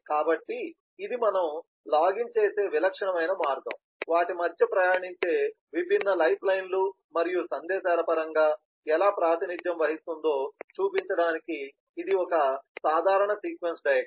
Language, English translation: Telugu, so this is just a simple sequence diagram to show that the typical way we login, how that can be represented in terms of the different lifelines and messages that pass between them